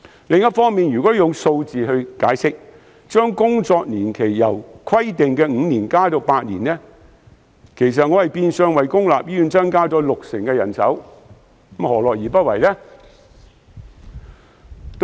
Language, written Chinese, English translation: Cantonese, 如果利用數字解釋，我建議將工作年期由原本規定的5年延長至8年，其實是變相為公立醫院增加六成人手，政府何樂而不為？, Let me explain my proposal with some figures . If the specified period of employment is extended from five years to eight years public hospitals will in effect have a 60 % increase in manpower